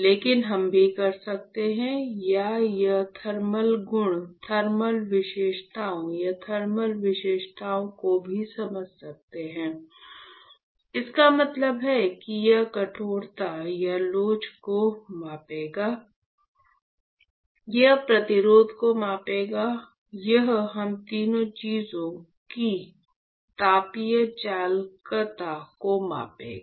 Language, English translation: Hindi, But, also do or we can also perform the thermal properties, thermal characteristics or also sense the thermal characteristics; that means, that it will measure the stiffness or elasticity, it will measure resistance, and it will measure the thermal conductivity all three things